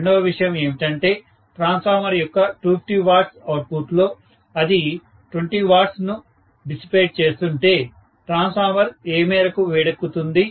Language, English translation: Telugu, Second thing is if I know that out of the 250 watts output of a transformer, maybe it is going to dissipate 20 watts, to that extent the transformer will get heated up